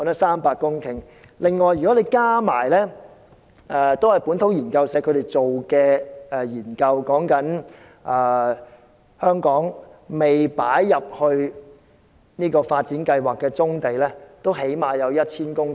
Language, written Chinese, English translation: Cantonese, 此外，根據另一項同為本土研究社進行的研究顯示，香港尚未納入發展計劃的棕地最少也有 1,000 公頃。, Moreover according to another research which is also conducted by the Liber Research Community there are at least 1 000 hectares of brownfield sites which have not been included in any development plan